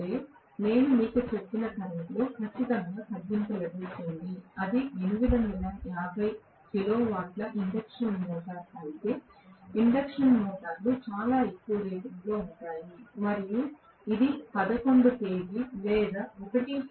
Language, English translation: Telugu, Which means I will definitely get a reduction in the current I told you, that induction motors are at very very high rating also if it is the 850 kilowatt induction motor and if it is working at 11 kV or 1